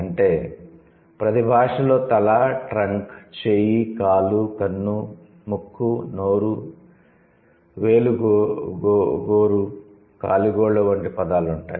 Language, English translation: Telugu, So, that means every language will have words for like head, trunk, arm, leg, eye, nose, mouth, fingernail, toenil